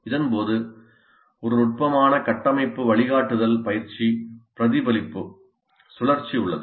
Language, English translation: Tamil, And during this, there is a subtle structure guidance coaching reflection cycle that goes on